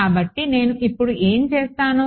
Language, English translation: Telugu, So, what I will do is now